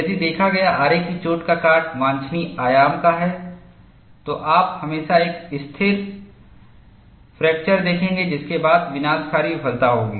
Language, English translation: Hindi, If the saw cut is of a desirable dimension, you will always see a stable fracture followed by catastrophic failure